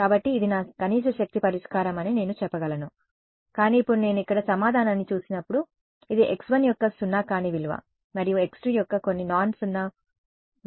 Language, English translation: Telugu, So, I say very good this is my minimum energy solution, but now when I look at the answer over here, it has some non zero value of x 1 and some non zero value of x 2, so there in some sense spread out ok